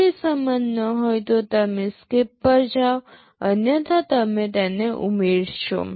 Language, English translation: Gujarati, If they are not equal then you go to SKIP otherwise you add